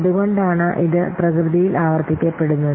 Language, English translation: Malayalam, So, that's why it is repeatable in nature